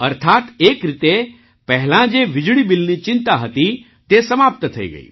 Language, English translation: Gujarati, That is, in a way, the earlier concern of electricity bill is over